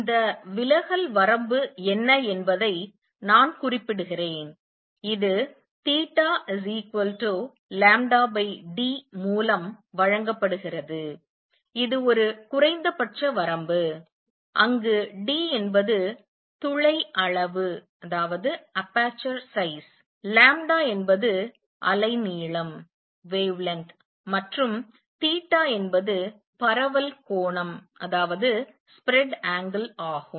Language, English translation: Tamil, Let me just mention what is this diffraction limit this is given by theta equals lambda over d, this is a minimum limit where d is the aperture size, lambda is the wavelength and theta is the spread angle